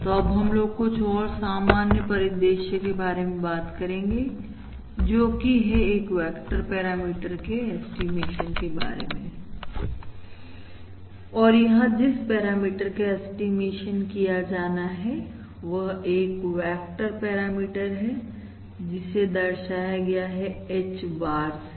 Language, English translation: Hindi, So now we are going to start talking about the much more general scenario, that is, a vector parameter estimation, where, that is, where the parameter to be estimated is actually a parameter vector, which we are going to denote by H bar